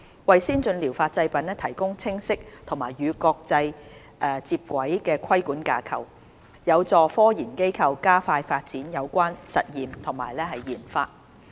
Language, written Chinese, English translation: Cantonese, 為先進療法製品提供清晰及與國際接軌的規管架構，有助科研機構加快發展有關實驗及研發。, As such introducing a clear regulatory framework with international standards can facilitate the research and development of scientific institutions